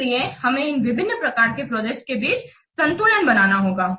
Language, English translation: Hindi, So, we have to do a balance between these different kinds of projects